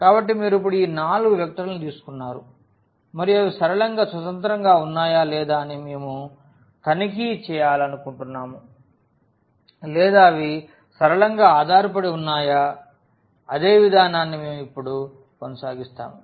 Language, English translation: Telugu, So, you have taken these 4 vectors now and we want to check whether they are linearly independent or they are linearly dependent the same process we will continue now